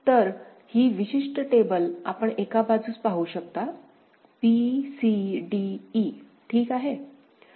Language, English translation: Marathi, So, this particular table you can see one side is a b c d e ok